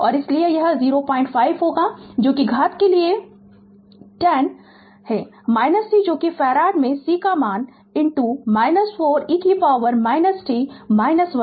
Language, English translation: Hindi, 5 that is into 10 to the power minus C that is C value in farad into minus 4 e to the power minus t minus 1